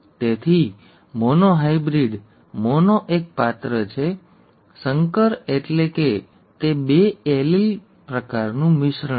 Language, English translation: Gujarati, So monohybrid, mono is one character, hybrid means it is a mixture of two allele types